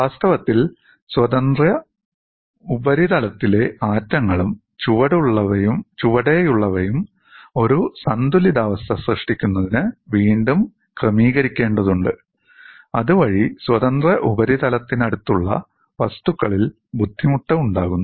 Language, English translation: Malayalam, In fact, atoms on the free surface and the ones below have to readjust to form an equilibrium thereby developing strain in the material close to the free surface